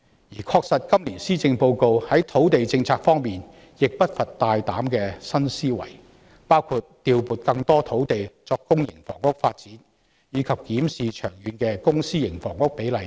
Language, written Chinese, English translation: Cantonese, 事實上，今年施政報告在土地政策方面並不乏大膽的新思維，包括調撥更多土地作公營房屋發展，以及檢視長遠的公私營房屋比例等。, In fact the Policy Address this year is not lacking in bold and new thinking in terms of the land policy including allocating more land sites to development of public housing and reviewing the publicprivate split of long - term housing supply